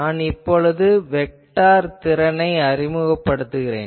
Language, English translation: Tamil, So, I introduce the vector potential